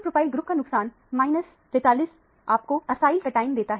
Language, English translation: Hindi, Loss of propyl group minus 43 gives you the acyl cation